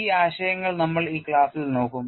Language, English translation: Malayalam, Those concepts also we look at in this class